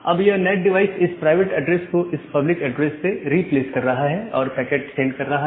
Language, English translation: Hindi, Now the NAT device is replacing this private IP with this public IP and sending the packet